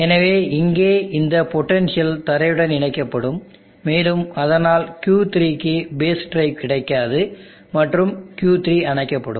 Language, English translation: Tamil, So this potential here will be grounded and because of that Q3 will not get base drive and Q3 will be off